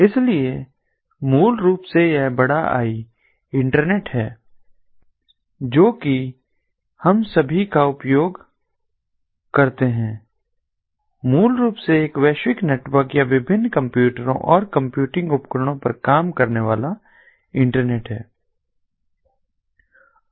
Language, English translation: Hindi, so basically, this capital i internet that all of us we use is basically a global network or an internet work of different computers and computing devices